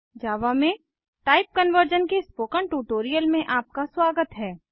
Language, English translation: Hindi, Welcome to the spoken tutorial on Type Conversion in Java